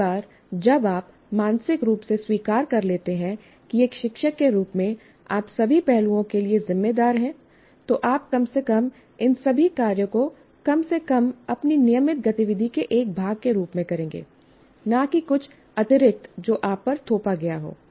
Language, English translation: Hindi, So once you mentally accept that as a teacher you are responsible for all aspects, then you will at least do all this work, at least as a part of your normal activity, not something that is extra that is imposed on you